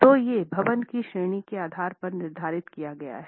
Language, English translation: Hindi, So these are prescribed depending on the category of the building